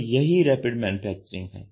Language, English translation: Hindi, So, this is Rapid Manufacturing ok